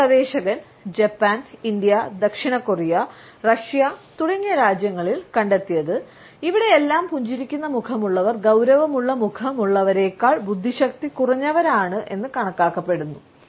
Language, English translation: Malayalam, One researcher found in countries like Japan, India, South Korea and Russia smiling faces were considered less intelligent than serious ones